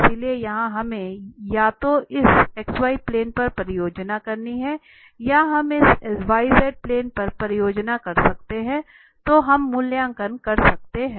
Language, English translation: Hindi, So, here we have to project either on this x z plane or we can project on this y z plane then we can evaluate